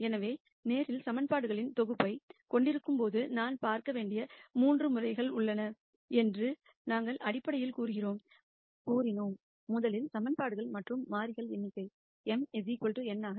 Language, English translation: Tamil, So, when we have a set of linear equations we basically said that there are 3 cases that one needs look at, one case is where number of equations and variables are the same m equal to n